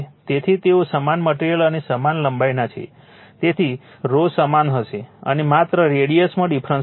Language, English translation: Gujarati, So, they are of the same material and same length right, so rho will remain same and your what you call only radius will be difference